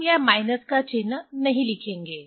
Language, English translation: Hindi, We will not write this minus sign